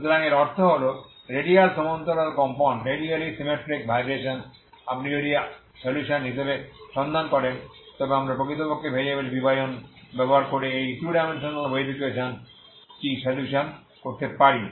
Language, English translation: Bengali, So that means radially symmetric vibrations you can if you look for as a solution we can actually solve this 2 dimensional wave equation using separation of variables